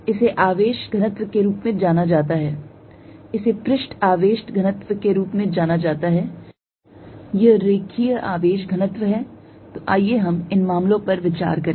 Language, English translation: Hindi, This is known as the charge density, this is known as surface charge density, this is linear charge density, so let us consider these cases